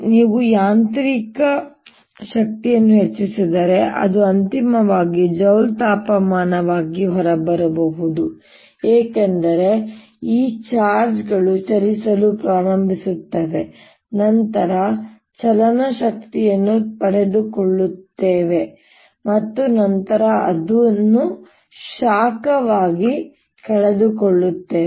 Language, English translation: Kannada, if you increase the mechanical energy, it may finally come out as joule heating, because these charges start moving around, gain kinetic energy and then lose it as heat